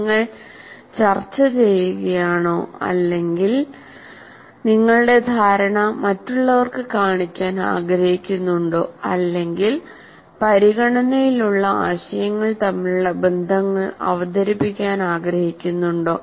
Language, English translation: Malayalam, Are you discussing or are you trying to, you want to show your understanding to others, or the teacher wants to present the relationships between the ideas that are under consideration